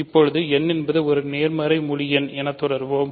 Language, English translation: Tamil, So, n is a positive integer